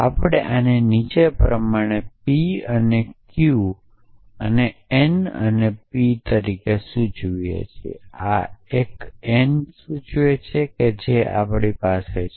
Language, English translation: Gujarati, We would like this as follows p and q and n and p implies a and this one a and n implies c we have